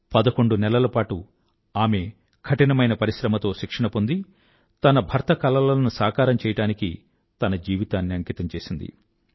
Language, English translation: Telugu, She received training for 11 months putting in great efforts and she put her life at stake to fulfill her husband's dreams